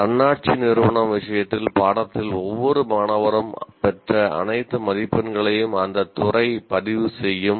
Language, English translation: Tamil, In the case of autonomous institution, the department will have access to all the marks obtained by each student in the course